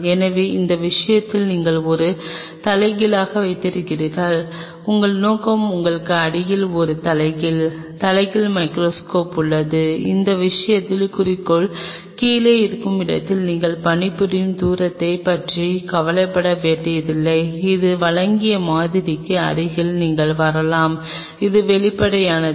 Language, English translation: Tamil, So, in that case you have an inverted assembly your objective is underneath you have an inverted assembly, inverted microscope in that case where the objective is below you do not have to worry about the working distance you can really come close to the sample provided this is transparent